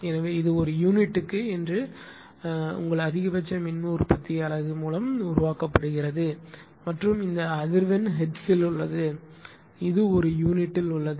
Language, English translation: Tamil, So, and this is your one one per unit means that you are what you call that is your maximum ah your power generated by the generating unit and this frequency is in hertz, this is in per unit